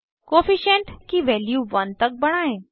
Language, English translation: Hindi, Set the Co efficient value to one